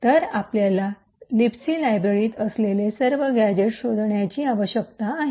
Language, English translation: Marathi, So, we need to find all the gadgets that the libc library contains